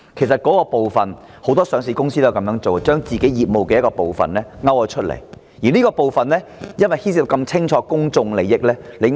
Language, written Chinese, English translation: Cantonese, 事實上，不少上市公司均會將部分業務分拆出來，尤其是明顯牽涉公眾利益的部分。, In fact many listed companies will spin off part of their business especially the part apparently involving public interest